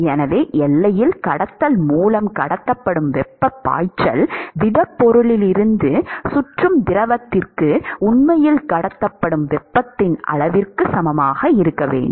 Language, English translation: Tamil, So, the flux of heat that is transported via conduction at the boundary it should be equal to the amount of heat that is actually transported from the solid to the fluid that is circulating around